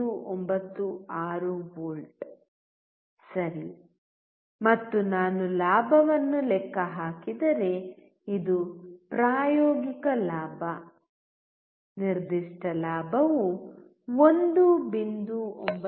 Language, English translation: Kannada, 96 volts right and if I calculate gain then this is the practical gain; particular gain would be 1